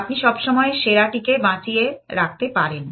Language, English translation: Bengali, You can always store the best